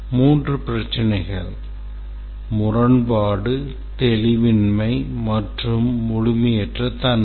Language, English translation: Tamil, These are called as inconsistency, ambiguity, and incompleteness